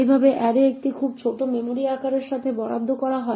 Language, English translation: Bengali, Thus, my array gets allocated with a very small memory size